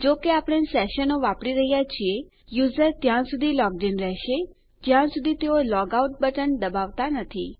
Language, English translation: Gujarati, Since were using sessions, the user will remain logged in until they press the logout button